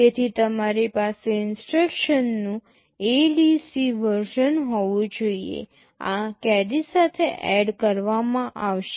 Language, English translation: Gujarati, So, you should have an ADC version of instruction, this is add with carry